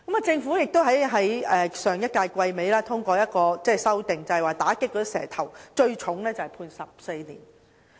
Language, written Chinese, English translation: Cantonese, 政府亦在上一屆立法會會期末通過一項修訂，就是打擊"蛇頭"，最重判罰監禁14年。, At the end of the last legislative session an amendment proposed by the Government was passed against snakeheads to the effect that the maximum penalty is now imprisonment of 14 years